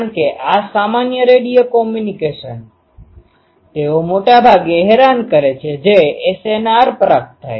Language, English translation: Gujarati, Because all these normal radio communication they are mostly bothered with what is the SNR that is received